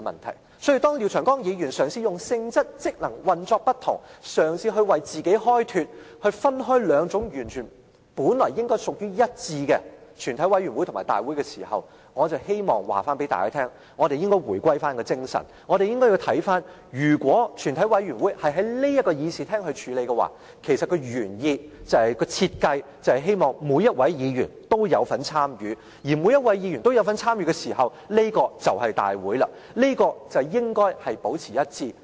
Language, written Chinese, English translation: Cantonese, 因此，當廖長江議員嘗試以性質、職能、運作不同，為自己開脫，分開本來應該屬於一致的全體委員會和大會時，我希望告訴大家，我們應該回歸那精神，我們應該看到如果全體委員會在這議事廳處理事務，其實原意和設計是希望每一位議員都有份參與，而每一位議員都有份參與時，這就是大會了，兩者應該保持一致。, Mr Martin LIAO tries to use the different nature function and operation between a committee of the whole Council and the Council to defend his proposal to separate them regardless of the fact that the two committees actually operate as a whole . I call on Members to return to the spirit of the existing arrangement . The fact that a committee of the whole Council deals with its businesses in this Chamber has reflected the original intent and design of the committee are to allow all Members to participate in the process and the participation of all Members actually signifies the role of the Council